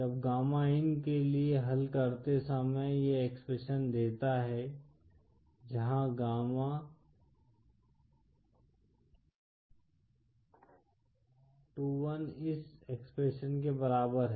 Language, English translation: Hindi, When solving for gamma in gives this expression where gamma 21 equal to this expression